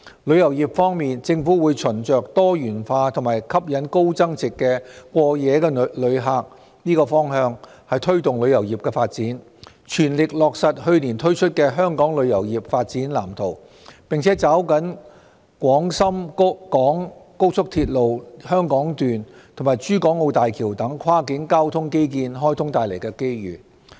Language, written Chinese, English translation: Cantonese, 旅遊業方面，政府會循着多元化及吸引高增值過夜旅客的方向推動旅遊業發展，全力落實去年推出的《香港旅遊業發展藍圖》，並抓緊廣深港高速鐵路香港段及港珠澳大橋等跨境交通基建開通帶來的機遇。, Regarding the tourism industry the Government will promote the development of the tourism industry in the direction of diversification and attracting high value - added overnight visitors work at full steam to implement the Development Blueprint for Hong Kongs Tourism Industry promulgated last year and seize the opportunities brought about by the commissioning of cross - boundary transport infrastructure such as the Hong Kong Section of the Guangzhou - Shenzhen - Hong Kong Express Rail Link and the Hong Kong - Zhuhai - Macao Bridge